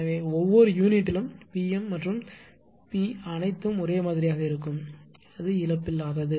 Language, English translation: Tamil, So, in per unit P m and P all will remain same right it is a lossless